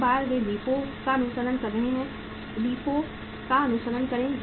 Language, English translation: Hindi, Once they are following LIFO, the follow LIFO